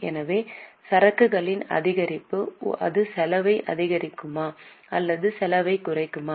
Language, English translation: Tamil, So, increase in the inventory will it increase the expense or reduce the expense